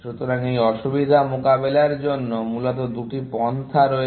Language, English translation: Bengali, So, there are basically two approaches to addressing this difficulty